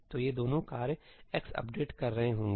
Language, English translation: Hindi, So, both these tasks may be updating x